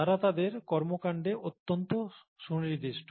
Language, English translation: Bengali, So they are very specific in their action